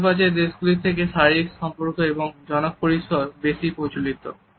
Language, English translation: Bengali, Physical contact and public spaces is more common than Middle Eastern countries